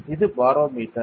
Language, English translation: Tamil, It is a barometer